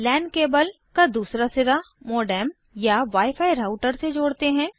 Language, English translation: Hindi, The other end of the LAN cable is connected to a modem or a wi fi router